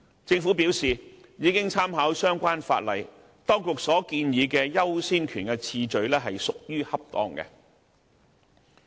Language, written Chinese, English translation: Cantonese, 政府表示已經參考相關法例，認為當局建議的優先權次序屬於恰當。, The Government has advised that it has made reference to the relevant legislation and considered the order of priority proposed by the authorities appropriate